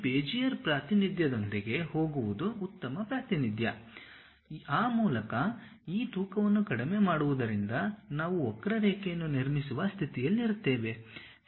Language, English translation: Kannada, The best representation is to go with this Bezier representation, where by minimizing these weights we will be in a position to construct a curve